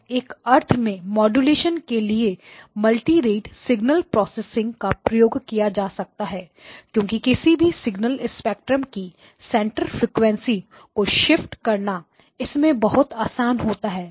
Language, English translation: Hindi, And so in some sense multirate signal processing can be used for modulation because it is very easy for us to shift the center frequency of any signal spectrum